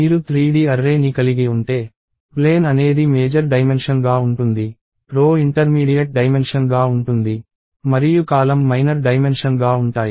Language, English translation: Telugu, If you have a 3D array, the plane would be the major dimension; row will be the intermediate dimension; and columns will be the minor dimension